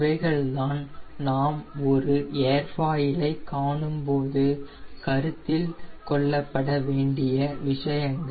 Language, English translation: Tamil, these are the points we have to take in to account when we look in an airfoil